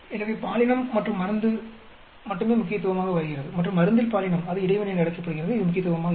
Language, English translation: Tamil, So, only gender and drug become significant and the gender into drug which is called interaction is not at all significant